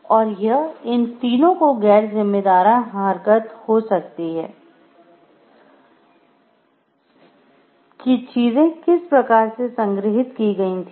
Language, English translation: Hindi, And the may be irresponsible act of these people in how things were stored or not